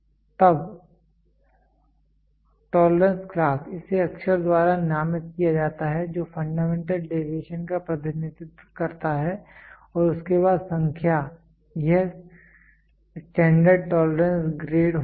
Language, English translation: Hindi, Then tolerance class it is designated by the letter here letters representing the fundamental deviation followed by the number representing it is standard tolerance grade